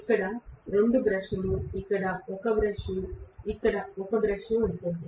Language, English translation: Telugu, And I will have 2 brushes, one brush here and one brush here that is it